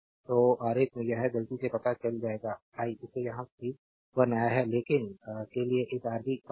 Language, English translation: Hindi, So, in the diagram this you will know by mistake I have made it here also, but for you have to find out this Rab